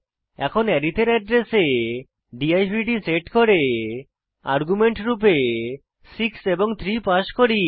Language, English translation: Bengali, Atlast we set divd to the address of arith And we pass 6 and 3 as arguments